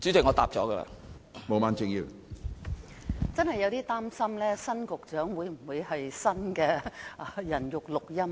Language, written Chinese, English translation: Cantonese, 我真有點擔心，新任局長會否是新的"人肉錄音機"。, I am frankly kind of worried . Is the new Secretary another human tape - recorder?